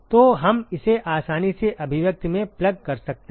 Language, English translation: Hindi, So, we can easily plug it in the expression